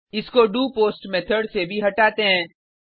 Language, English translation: Hindi, Also remove it from the doPost method